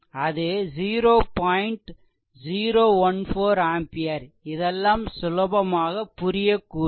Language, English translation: Tamil, 014 ampere this is your i right so, this is easy to understand